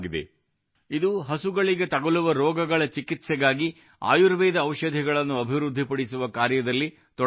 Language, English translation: Kannada, It is engaged in developing Ayurvedic Medicines for the treatment of animal diseases